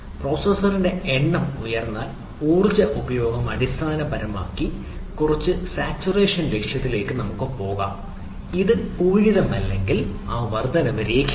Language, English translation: Malayalam, so if the number of processor goes on high, the power consumption is basically somewhat going towards some saturation, if not saturation, the increment is not linear